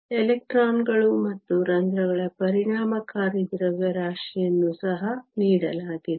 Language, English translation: Kannada, So, the effective masses of the electrons and holes are also given